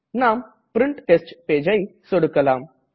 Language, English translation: Tamil, Lets click on Print Test Page option